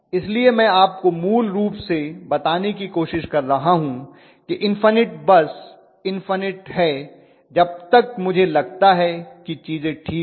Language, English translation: Hindi, So what I am trying to tell you basically is the infinite bus is infinite as long as I think things are all fine